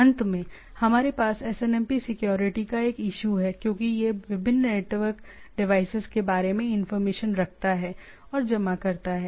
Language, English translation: Hindi, Finally, we have a issue of SNMP security, as this it carries information about the different network devices and accumulate